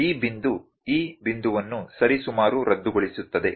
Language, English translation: Kannada, This point would cancel this point approximately